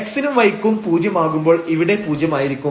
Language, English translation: Malayalam, So for r, this is when x and y both have 0